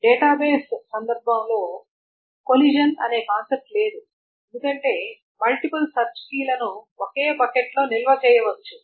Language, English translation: Telugu, In the context of database, there is no concept of collision because multiple search keys can be stored in a bucket